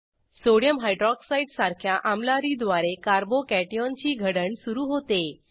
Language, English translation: Marathi, Formation of a Carbo cation is initialized by a base like Sodium Hydroxide